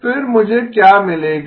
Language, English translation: Hindi, Then what do I get